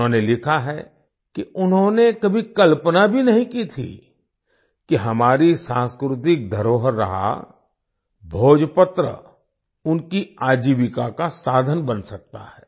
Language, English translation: Hindi, They have written that 'They had never imagined that our erstwhile cultural heritage 'Bhojpatra' could become a means of their livelihood